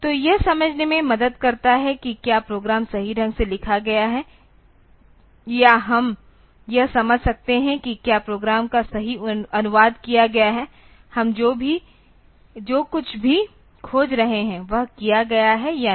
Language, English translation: Hindi, So, this helps in understanding whether the program has been translated the program has been written correctly or we can understand whether the program has been translated correct; whatever we are looking for whether that has been done or not